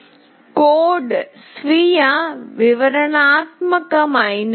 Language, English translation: Telugu, The code is self explanatory